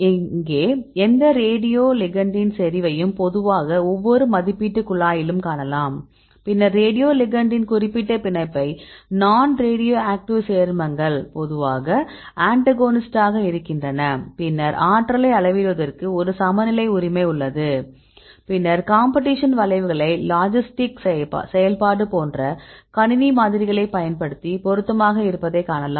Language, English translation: Tamil, Likewise there is another assays for example, competitive binding assay, here also you can see a single concentration of this any radio ligand usually an agonist in in every assay tube, then you determine the specific binding of the radio ligand in the presence of competing non radioactive compounds usually antagonist, then there is a balance right for measuring the potency, then you can see the competition curves right there can be fitted using computer models like logistic function, to see the fit